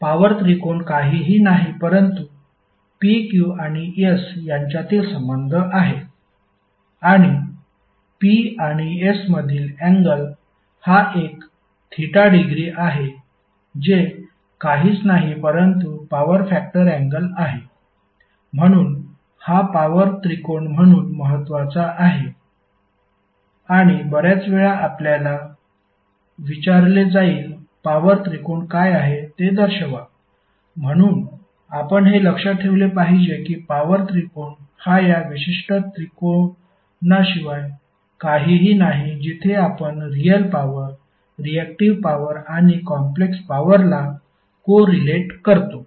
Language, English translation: Marathi, Power triangle is nothing but the relationship between P, Q and S and the angle between P and S is the theta degree which is nothing but the power factor angle, so this power tangle is very important and most of the time you will be asked to show what is the power triangle, so you should remember that the power tangle is nothing but this particular triangle where we co relate real power, reactive power and the complex power